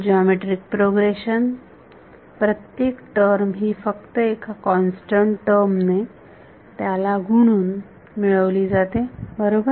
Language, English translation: Marathi, Geometric progression, every term is obtained by multiplying just one constant term to it right